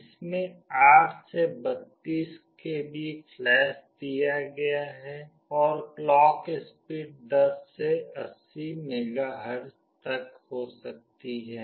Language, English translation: Hindi, It has got 8 to 32 KB flash and the clock speed can range from 10 to 80 MHz